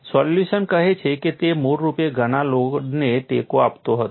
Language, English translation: Gujarati, The solution says it was original supporting so much load